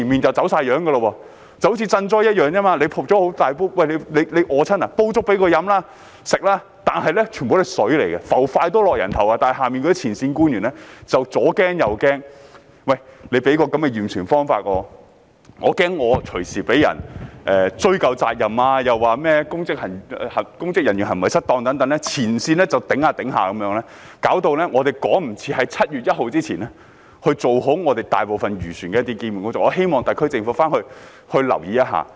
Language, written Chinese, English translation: Cantonese, 正如賑災一樣，災民肚餓，便煲粥給他們吃，但其實全部都是水，"筷子浮起，人頭落地"，但前線官員就是左怕右怕，害怕因驗船方法而隨時被人追究責任，又說甚麼公職人員行為失當等，礙手礙腳，令我們無法趕及在7月1日前完成大部分漁船的一些基本工作，我希望特區政府回去留意一下。, Since frontline officials have all kinds of worries afraid of being held responsible anytime for the method adopted in vessel surveys and misconduct in public office and so on . These hurdles prevent us from completing certain basic work by 1 July for most fishing vessels . I hope the SAR Government will go back and take note of this